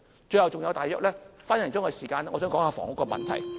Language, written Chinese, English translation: Cantonese, 最後還有一分多鐘時間，我想說一說房屋問題。, With one minute or so left I want to talk about the housing problem